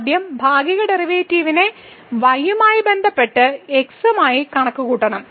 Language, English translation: Malayalam, We are taking the derivative with respect to y